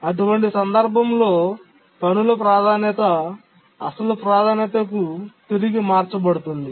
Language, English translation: Telugu, So the task's priority in that case is reverted back to the original priority